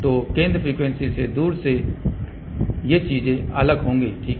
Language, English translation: Hindi, So, away from the center frequency things will be different, ok